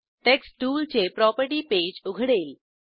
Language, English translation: Marathi, Text tools property page opens